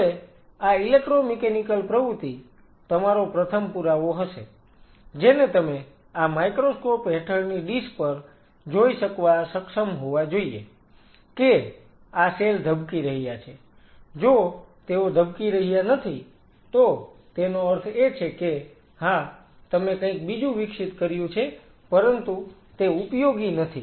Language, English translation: Gujarati, Now this electro mechanical activity your first evidence you should be able to see on a dish under microscope, that these cells are beating they are not beating it means yeah you grow something, but they are not functional